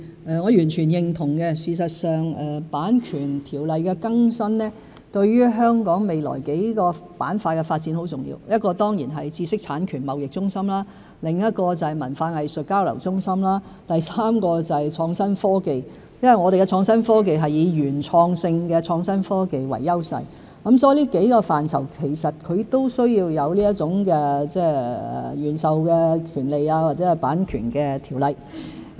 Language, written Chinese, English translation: Cantonese, 我完全認同更新《版權條例》對香港未來數個板塊的發展很重要，其一當然是知識產權貿易中心，另外就是文化藝術交流中心，第三是創新科技，因為我們的創新科技是以原創性的創新科技為優勢，所以這幾個範疇均需有"原授專利"和版權的條例。, I totally agree that the update of the Copyright Ordinance is crucial to a number of development plans in Hong Kong including first developing into an intellectual property trading centre; second developing into a centre for cultural exchange; and third developing into an innovation and technology IT hub . Given that our IT has the advantage of being original legislation on original grant patent and copyright is necessary in the said areas